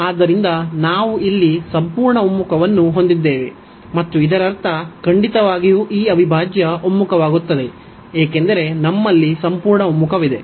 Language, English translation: Kannada, So, we have the absolute convergence here, and this is that means, definitely this integral converges, because we have the absolute convergence